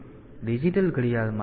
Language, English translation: Gujarati, So, in the digital watch